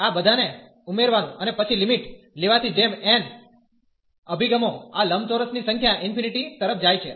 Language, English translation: Gujarati, Adding all these and then taking the limit as n approaches to the number of these rectangles goes to infinity